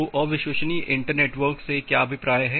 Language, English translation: Hindi, So, what is meant by unreliable inter network